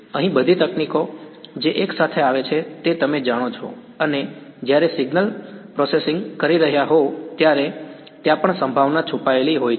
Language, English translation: Gujarati, Here all the techniques that come together you know and when you are doing signal processing there is probability hiding underneath also right